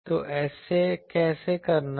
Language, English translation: Hindi, So, how to do that